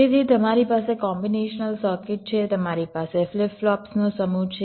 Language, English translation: Gujarati, so you have a combinational circuit, you have a set of flip flops, so i am showing them separately